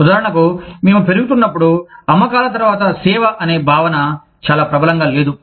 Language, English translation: Telugu, For example, when we were growing up, the concept of after sales service, was not very prevalent